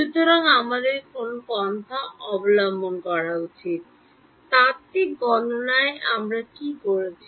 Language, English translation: Bengali, So, what approach should we take, what we did in the theoretical calculation